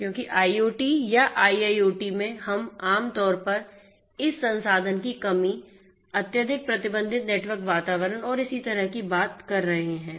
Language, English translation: Hindi, Because in IoT or IIoT we are typically talking about this resource constraint, highly constraint you know network environment and so on